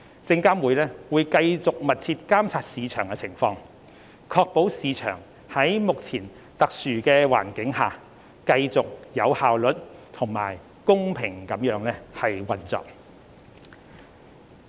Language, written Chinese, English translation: Cantonese, 證監會將繼續密切監察市場情況，確保市場在目前特殊的環境下繼續有效率和公平地運作。, SFC will continue to monitor the market closely to ensure that it will operate efficiently and fairly amidst the extraordinary conditions that it is experiencing